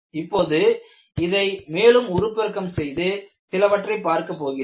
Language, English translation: Tamil, Now, what I will do is, I will magnify this further and I want you to observe a few more things